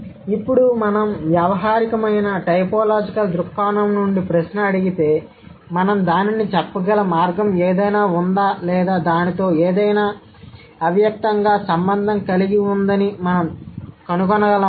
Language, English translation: Telugu, But now if we ask the question from the pragmatic typological perspective, is there any way by which we can say that or we can find out there has been something implicit associated with it